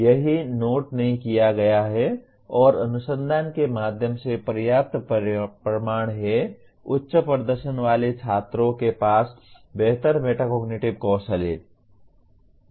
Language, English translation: Hindi, It is noted and there is adequate proof through research high performing students have better metacognitive skills